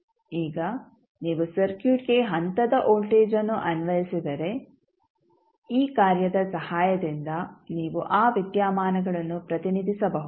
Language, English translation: Kannada, Now, if you apply step voltage to the circuit; you can represent that phenomena with the help of this function